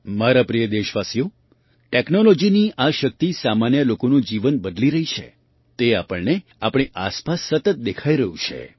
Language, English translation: Gujarati, My dear countrymen, how the power of technology is changing the lives of ordinary people, we are constantly seeing this around us